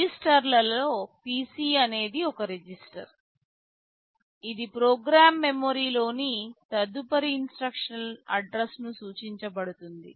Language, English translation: Telugu, Among the registers this PC is one register which will be pointing to the address of the next instruction in the program memory